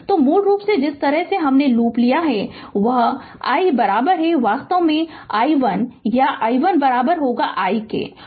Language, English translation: Hindi, So, basically the way we have taken the loop it is i is equal to actually i 1 or i 1 is equal to i